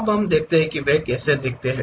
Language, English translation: Hindi, Now, let us look at how they look like